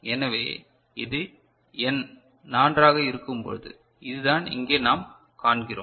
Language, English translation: Tamil, So, this is for n is equal to 4 that is what we see over here